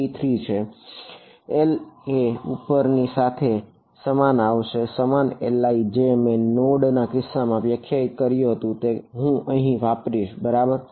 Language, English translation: Gujarati, Is the same as above, the same L i which I defined in the node case I used over here right